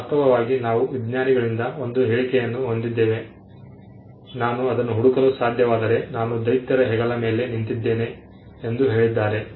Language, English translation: Kannada, In fact, we had statements from scientist who have said that if I could look for it is because, I stood on the shoulders of giants